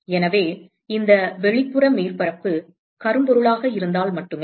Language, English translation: Tamil, So, this is only if these outer surface is a blackbody